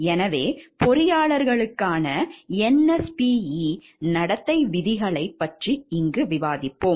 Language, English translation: Tamil, So, we will discuss the NSPE code of conduct for engineers which states